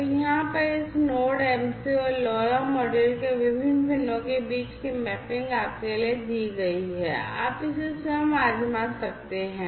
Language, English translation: Hindi, So, over here this mapping between the different pins of this Node MCU and the LoRa module are given for you, you can try it out yourselves